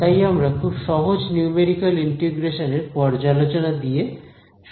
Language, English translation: Bengali, So, we will start with the review of Simple Numerical Integration ok